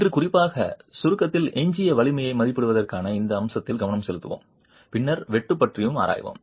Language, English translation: Tamil, Today we will focus on this aspect of estimating the residual strength in particularly in compression and then we will also examine shear